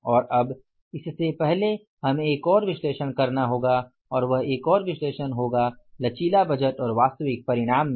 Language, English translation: Hindi, And now before this we have to have the one more analysis and that more one more analysis here is that is the flexible budget and the actual results